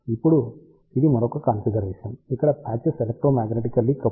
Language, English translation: Telugu, Now, this is the another configuration, where patches are electromagnetically coupled